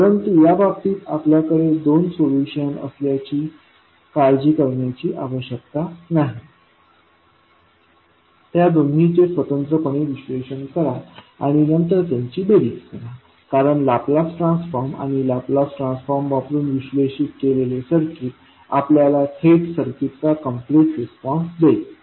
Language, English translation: Marathi, But in this case we need not to worry about having two solutions analyze separately and then summing up because the Laplace transform and the circuit analysis using Laplace transform will directly give you the complete response of the circuit